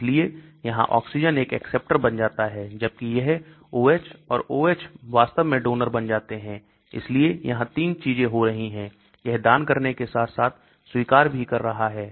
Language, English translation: Hindi, so the oxygen here becomes an acceptor whereas these O H and O H become donor actually so it has got 3 things happening, it is accepting as well as donating